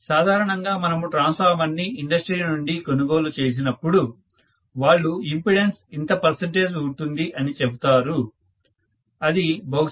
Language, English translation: Telugu, So, generally whenever we buy a transformer from the industry, they will only say the impedances so much percentage, that is may be 0